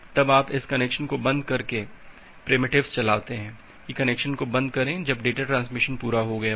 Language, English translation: Hindi, Then you execute this connection closure primitive, that close the connection when the data transmission is complete